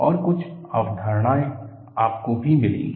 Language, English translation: Hindi, And, certain ideas you will also get